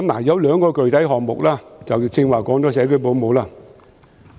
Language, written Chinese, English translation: Cantonese, 有兩個具體項目，剛才說了社區保姆。, There are two specific programmes and I just mentioned home - based child carers